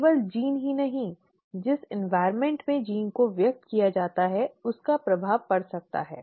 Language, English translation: Hindi, Not just the gene, the environment in which the gene is expressed could have an impact